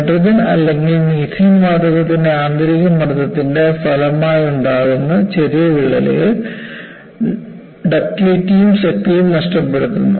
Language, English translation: Malayalam, Tiny cracks that result from the internal pressure of hydrogen or methane gas causes loss in ductility and strength, and where do these form